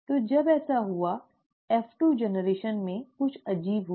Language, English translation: Hindi, So when that happened, in the F2 generation, something strange happened